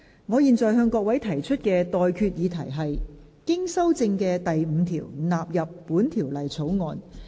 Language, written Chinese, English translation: Cantonese, 我現在向各位提出的待決議題是：經修正的第5條納入本條例草案。, I now put the question to you and that is That clause 5 as amended stand part of the Bill